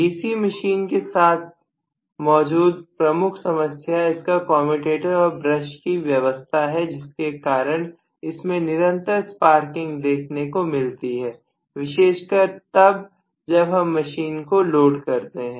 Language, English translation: Hindi, So one of the major problems with DC machine is this commutator and brush arrangement which causes continuously sparking, right especially when you load the machine